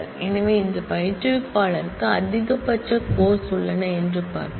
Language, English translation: Tamil, And so, let us see which instructor has a maximum load of courses